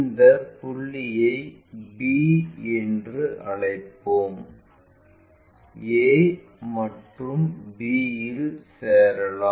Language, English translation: Tamil, Let us call this point b and join a and b